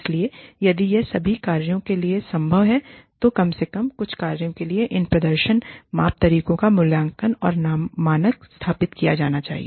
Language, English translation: Hindi, So, if it is not possible for all functions, then at least for some functions, these performance measurements, methods of assessment and standards, should be established